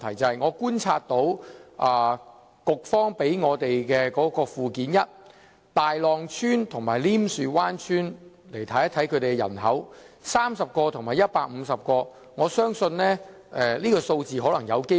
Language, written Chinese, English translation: Cantonese, 根據當局提供的附件一，大浪村和稔樹灣村的人口分別是30人和150人，我相信數字有可能被低估。, According to Annex I provided by the authorities the population figures of Tai Long Village and Nim Shue Wan Village are respectively 30 and 150 which I believed to be underestimated probably